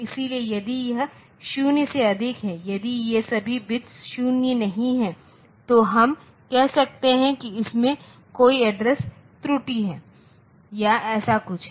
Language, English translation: Hindi, So, if it is more than 0 if all these bits are not 0 then we can say that there is an address error or something like that